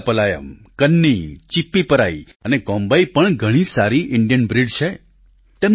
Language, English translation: Gujarati, Rajapalayam, Kanni, Chippiparai and Kombai are fabulous Indian breeds